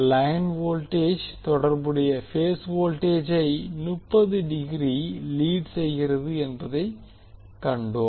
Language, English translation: Tamil, We saw that the line voltage leads the corresponding phase voltage by 30 degree